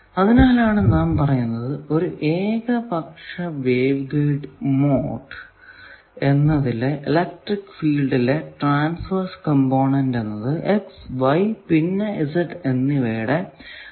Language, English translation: Malayalam, So, that is why let us say that an arbitrary waveguide mode its transverse component of electric field will in general be a function of x, y, z